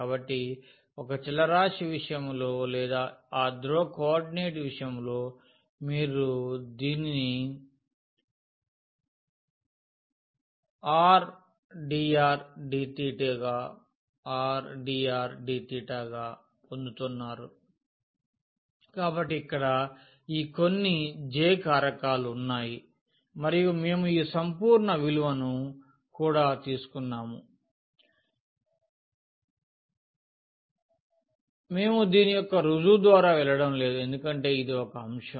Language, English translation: Telugu, So, in case of one variable or in case of that polar coordinate you are getting just this as r dr d theta, so there is some factor here this J and we have taken this absolute value also; we are not going through the proof of this because that is a bit involved a topic